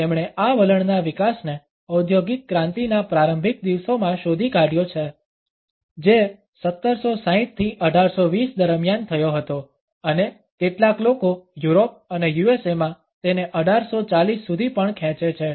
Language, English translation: Gujarati, He has traced the development of this attitude to the early days of industrial revolution which had occurred during 1760 to 1820 and some people a stretch it to 1840 also in Europe and the USA